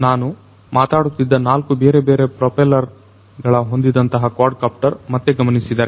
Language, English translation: Kannada, So, going back I was talking about this quadcopter having 4 different propellers